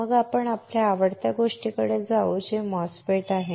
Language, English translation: Marathi, Then we will move to our favourite thing which is MOSFET